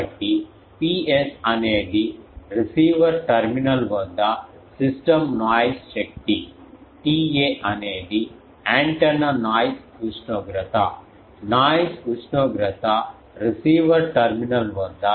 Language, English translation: Telugu, So, P s is system noise power at receiver terminal T A is antenna noise temperature, noise temperature, at receiver terminal, T r receiver noise temperature at receiver terminal